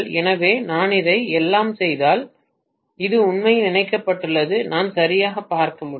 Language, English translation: Tamil, So if I make all this as this, then this is actually coupled to that I can look at exactly